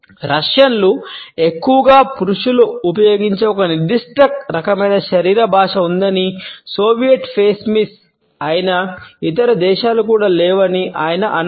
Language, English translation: Telugu, He added there were a one specific type of body language used by Russians mostly men and by no other nations that is a Soviet face miss